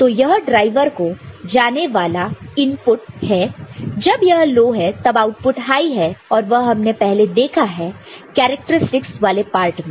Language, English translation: Hindi, So, this is the input to the driver when it is low the output is high, you have, you have already seen right; the characteristics part of it isn’t it